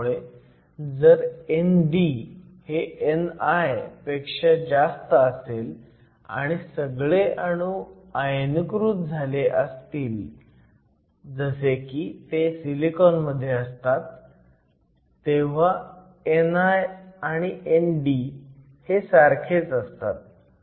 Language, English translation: Marathi, So, as long as n d is much higher than n i and all the atom are ionized, which is true in the case of silicon will find that n is same as n d